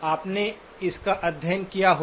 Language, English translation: Hindi, You would have studied this